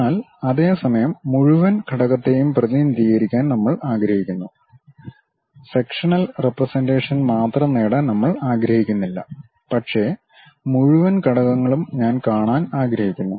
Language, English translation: Malayalam, But at the same time, we want to represent the entire element; we do not want to have only sectional representation, but entire element also I would like to really see